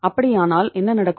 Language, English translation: Tamil, In that case what will happen